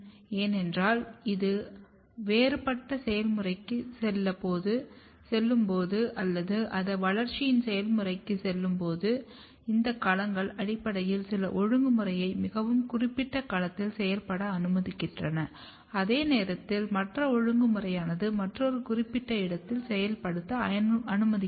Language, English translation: Tamil, Because when it has to go the process of differentiation or it has to go the process of development, this domains basically allow some of the regulatory mechanism to function in a very specified domain, at the same time other regulatory mechanism to function in another specified domain